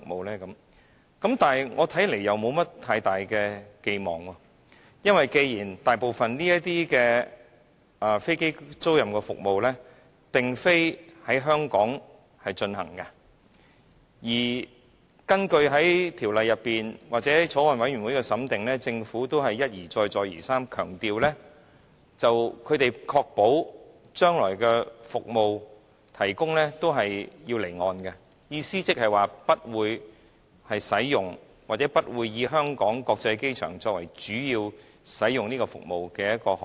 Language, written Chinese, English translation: Cantonese, 在我看來，我也沒有太大的期望，因為大部分的飛機租賃服務並非在香港進行；而在法案委員會審議《條例草案》期間，政府亦一而再，再而三地強調，他們可確保將來服務提供時是會在離岸進行的，意即不會使用，或不會以香港國際機場作為主要使用該服務的航點。, I for one do not have any high hope either because most of the aircraft leasing services will take place outside Hong Kong . And during the deliberation of the Bill by the Bills Committee the Government also emphasized repeatedly that it could ensure that aircraft leasing services would be done offshore . This means that leased aircraft will not be using the Hong Kong International Airport as a major destination